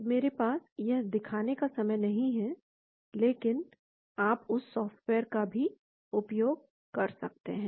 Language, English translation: Hindi, So, I do not have time to show that but you can use that software as well